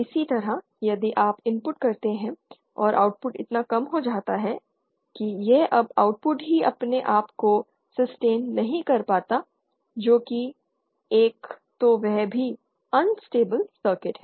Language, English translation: Hindi, Similarly if you give an input and output becomes so low that it no longer sustains itself the output that is also an unstable circuit